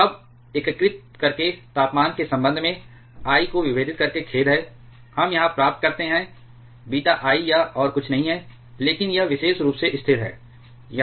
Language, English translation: Hindi, And now by integrating, sorry by differentiating I with respect to the temperature, we get this here beta I is nothing but this particular constant